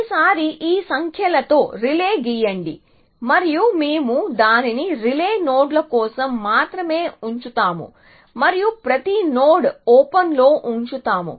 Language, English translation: Telugu, So, let me draw the relay with these numbers this time and we will keep it for the relay nodes only and every node on the open